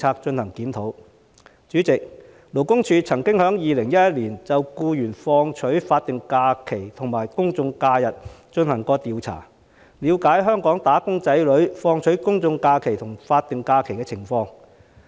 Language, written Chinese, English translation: Cantonese, 主席，勞工處曾經在2011年就僱員放取法定假日和公眾假期進行調查，了解香港"打工仔女"放取公眾假期和法定假日的情況。, President the Labour Department conducted a survey in 2011 on the taking of statutory holidays and general holidays by employees so as to study the situation of wage earners taking general holidays and statutory holidays in Hong Kong